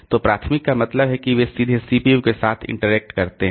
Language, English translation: Hindi, So, primary means they interact directly with the CPU